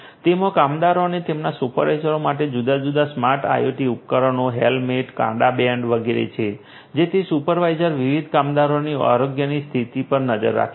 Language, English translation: Gujarati, It has different you know smart IoT devices, helmets, wristbands, etcetera for the workers and their supervisors so that the supervisors can track the health condition of the different workers